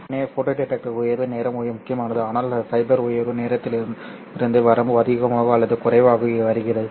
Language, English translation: Tamil, So photo detector rise time is important but more or less the limitation comes from the fiber rise time